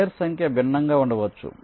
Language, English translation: Telugu, number of layers may be different, may vary